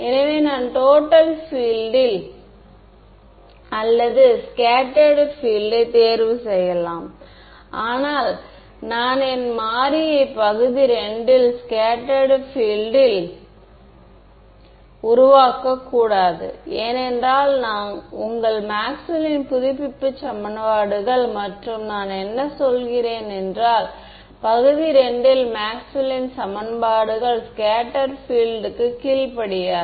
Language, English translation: Tamil, So, I can choose the total field or the scattered field, but in region II I should not make my variable scattered field, because your update equations and I mean Maxwell’s equation scattered field does not obey Maxwell’s equations in the region II